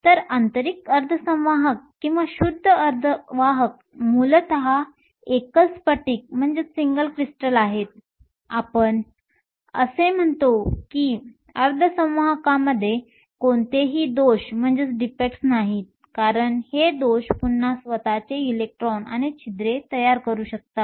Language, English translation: Marathi, So, intrinsic semiconductors or pure semiconductors are essentially single crystals; we say that there are no defects in the semiconductor, because these defects can again create electrons and holes of their own